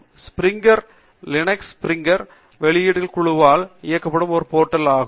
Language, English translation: Tamil, SpringerLink is a portal run by the Springer publishing group